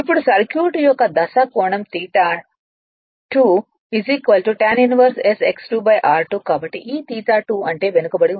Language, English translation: Telugu, Now, the phase angle of the circuit theta 2 is equal to tan inverse s X 2 upon r 2 right so this is your theta 2 that is the lagging